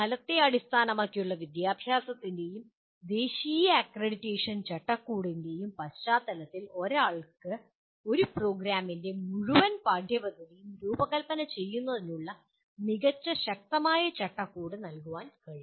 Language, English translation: Malayalam, One can, in the context of outcome based education as well as the national accreditation framework they provide an excellent robust framework for designing the entire curriculum of a program